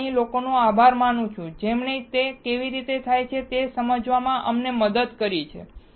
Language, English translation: Gujarati, I thank to these guys who have helped us to understand how it is done